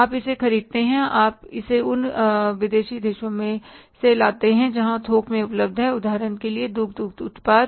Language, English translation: Hindi, You buy it, you bring it from those countries where is available in the bulk, for example, the milk products